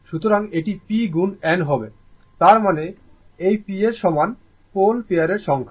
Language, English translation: Bengali, So, this will be p into n; that means, p is equal to this p is number of pole pair